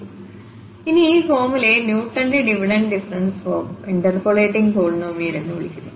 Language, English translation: Malayalam, Well, so this formula is called Newton's Divided difference interpolating polynomial